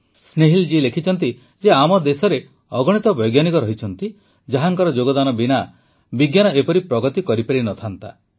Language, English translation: Odia, Snehil ji has written that there are many scientists from our country without whose contribution science would not have progressed as much